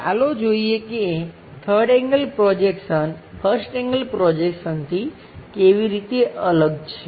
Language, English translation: Gujarati, Let us look at how 3rd angle projection is different from 1st angle projection